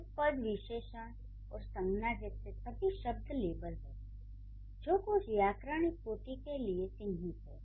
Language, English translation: Hindi, So, the terms like article, adjective and noun, these are the levels which are marked to certain grammatical categories